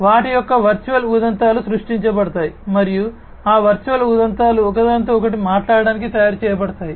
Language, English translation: Telugu, The virtual instances of them would be created and those virtual instances would be made to talk to one another